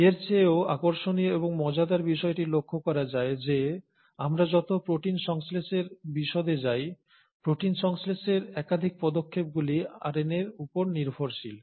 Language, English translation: Bengali, What is even more interesting and intriguing is to note that as we go into the details of protein synthesis, multiple steps in protein synthesis are dependent on RNA